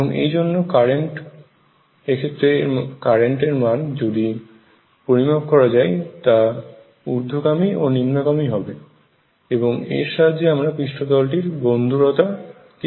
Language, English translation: Bengali, And therefore, the current in this if that is measured would be going up and down and then that can be used to map the roughness of the surface